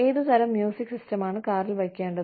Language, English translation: Malayalam, What kind of music system, to put in the car